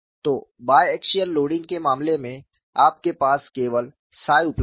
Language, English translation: Hindi, So, in the case of bi axial loading, you have only psi is available